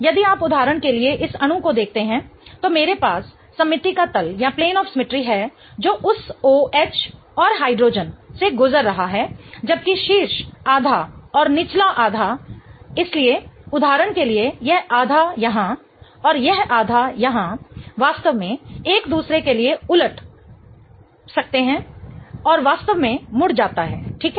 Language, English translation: Hindi, If you see this molecule for example, I have a plane of symmetry right here going through that OH and hydrogen whereas the top half and the bottom half so for example this half here and this half here can really flip on to each other and really get folded